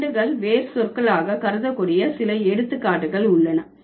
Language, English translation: Tamil, There are some instances in which cases stems can be considered as root words also